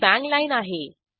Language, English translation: Marathi, This is the bang line